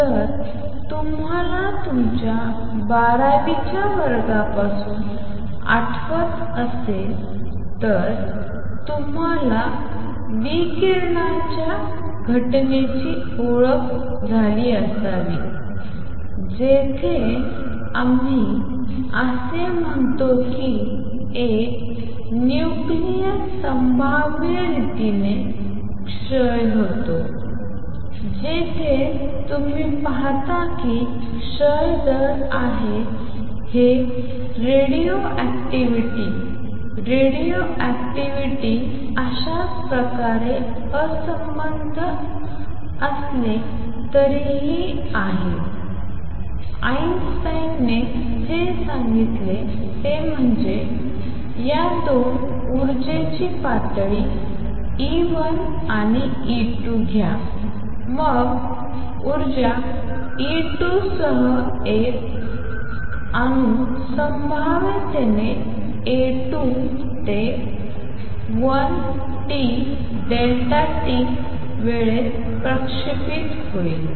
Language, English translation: Marathi, If you recall from your 12th grade you must have been introduced to the phenomena of radioactivity where we say that a nucleus decays in a probabilistic manner where you see that rate of decay is minus lambda N this is from radioactivity, radioactivity in a similar manner although unrelated what Einstein said is take these 2 energy levels E 1 and E 2 then an atom with energy E 2 will radiate with probability A 2 to 1 delta t in time delta t